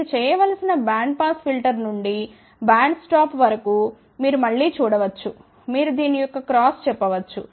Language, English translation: Telugu, As, you can see again from band pass filter to band stop you have to do, you can say the cross of this